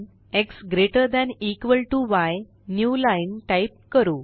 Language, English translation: Marathi, x greater than equal to y new line